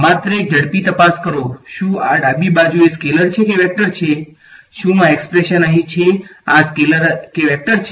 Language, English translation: Gujarati, Just a quick check is this a scalar or a vector is the left hand side, is this expression over here is this a scalar or a vector